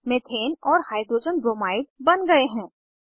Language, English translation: Hindi, Methane and Hydrogen bromide are formed